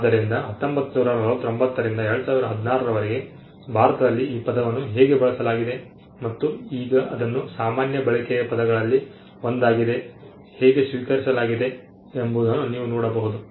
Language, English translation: Kannada, So, you can see starting from 1949 onwards how till 2016 how the term has been used in India, and how it has now been accepted as one of one of the terms with common use